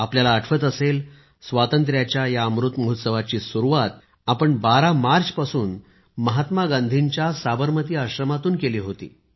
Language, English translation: Marathi, You may remember, to commemorate 75 years of Freedom, Amrit Mahotsav had commenced on the 12th of March from Bapu's Sabarmati Ashram